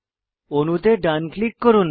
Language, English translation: Bengali, Right click on the molecule